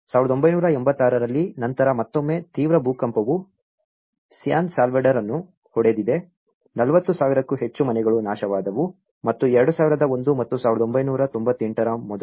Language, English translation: Kannada, In 1986, then again, a severe earthquake has hit the San Salvador, more than 40 thousand houses has been destroyed and prior to 2001 and 1998